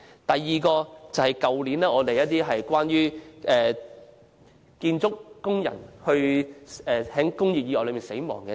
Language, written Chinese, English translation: Cantonese, 第二則報道關於去年建築工人因為工業意外而死亡的個案。, The second news report is about cases of deaths of construction workers caused by industrial accidents last year